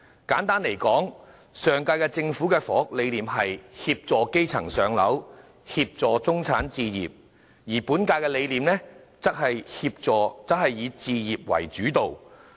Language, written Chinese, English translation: Cantonese, 簡單而言，上屆政府的房屋理念是"協助基層上樓、協助中產置業"，而本屆的理念則是以"置業為主導"。, In short the vision on housing of the last - term Government was assisting grass - root families in moving into public housing and the middle - income families in buying their own homes while that of the current - term Government focuses on home ownership